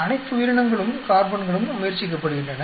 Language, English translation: Tamil, All the organisms, carbons are being tried out